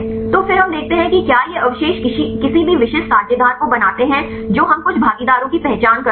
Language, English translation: Hindi, So, then we see whether these residues making any specific partners we identify some partners right